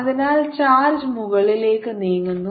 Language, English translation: Malayalam, so here is the charge moving upwards